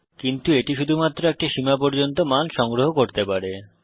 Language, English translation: Bengali, But it can only store values up to a limit